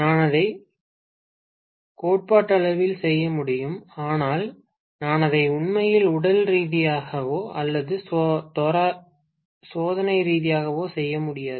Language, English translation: Tamil, I can do it theoretically, but I cannot do it actually physically or experimentally